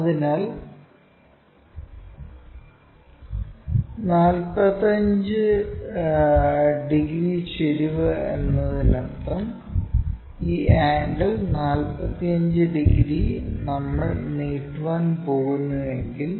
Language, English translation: Malayalam, So, 45 degrees inclination means, if we are going to extend that this angle is 45 degrees